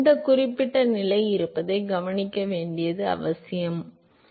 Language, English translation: Tamil, It is important to observe that this particular condition exists, that is all